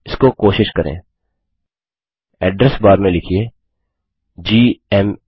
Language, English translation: Hindi, Try this:In the address bar type gma